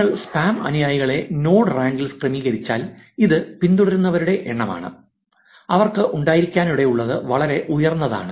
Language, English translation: Malayalam, If you arrange the spam followers in the node rank which is the number of followers that they may have is actually very high